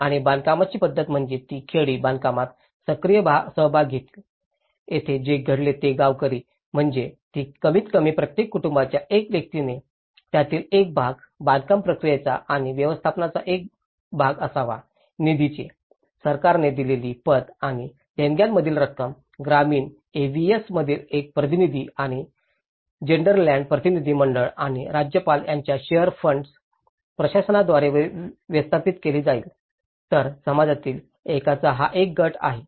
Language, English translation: Marathi, And the method of construction, that the villages would take an active part in the construction so, here what happened was the villagers they also said that at least each family one person has to be part of it, the part of the construction process and management of the fund, the credits given by the government and those from the donations would be managed by the shared fund administration of one representative from the villager AVS and the Gelderland delegation and the governorship so, there is a group of one from the community, one from the funding agency, one from the international NGO sponsor and the local governments